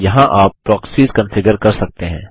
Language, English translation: Hindi, Here you can configure the Proxies